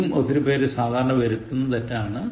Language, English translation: Malayalam, Eight, it is also a commonly committed error